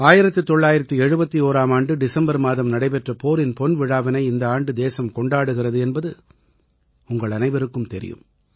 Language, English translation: Tamil, All of us know that on the 16th of December, the country is also celebrating the golden jubilee of the 1971 War